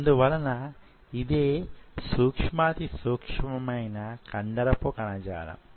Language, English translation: Telugu, So this is the smallest unit of muscle tissue